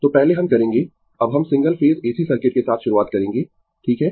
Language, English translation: Hindi, So, first we will now we will start with Single Phase AC Circuit, right